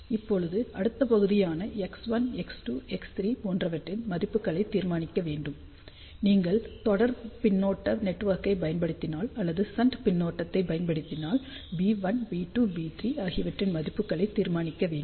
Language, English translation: Tamil, So, now the next part is to determine the values of X 1, X 2, X 3; if you use series feedback network or determine the values of B 1, B 2, B3; if we are using shunt feedback